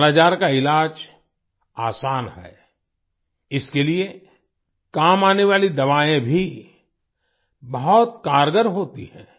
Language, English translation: Hindi, The treatment of 'Kala Azar' is easy; the medicines used for this are also very effective